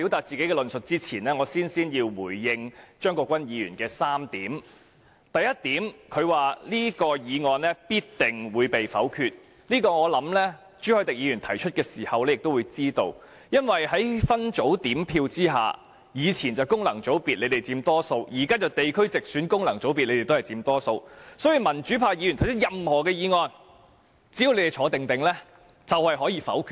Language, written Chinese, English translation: Cantonese, 在論述之前，有3點我首先要回應張國鈞議員：第一，他說這項議案必定會被否決，我想這點朱凱廸議員提出議案時已知悉，因為以往建制派在功能團體議席佔大多數，現在建制派在分區直選及功能團體議席也佔大多數，在分組點票下，無論民主派議員提出任何議案，只要建制派不離開座位就可以否決了。, I believe Mr CHU Hoi - dick knew of that when he proposed the motion . In the past the pro - establishment camp was in the majority in functional constituencies but now they are in the majority in both the geographical constituencies and the functional constituencies . Under the separate voting arrangement the pro - establishment camp may veto any motion proposed by a Member from the pro - democracy camp by merely staying in the Chamber